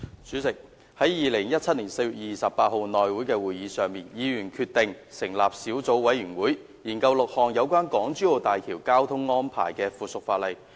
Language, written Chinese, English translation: Cantonese, 主席，在2017年4月28日內務委員會會議上，議員決定成立小組委員會，研究6項有關港珠澳大橋交通安排的附屬法例。, President at the meeting of the House Committee on 28 April 2017 Members agreed to form a subcommittee to study six items of subsidiary legislation relating to the traffic arrangements for the Hong Kong - Zhuhai - Macao Bridge